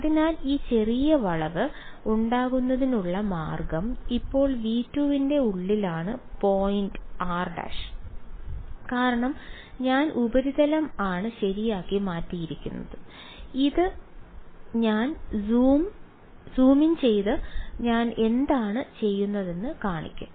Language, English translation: Malayalam, So, the way to make this small bend is now the point r prime is inside V 2 because I have changed the surface just a little bit right and this I will zoom in and show you what I am doing is something like this